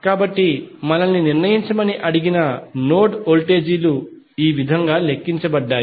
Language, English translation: Telugu, So, the node voltages which are asked to determine have been calculated in this way